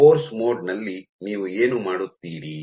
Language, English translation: Kannada, So, what you do in force mode